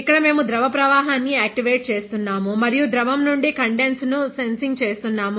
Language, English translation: Telugu, Here we are activating the flow of the liquid and sensing condense from the liquid